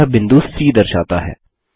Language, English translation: Hindi, It shows point C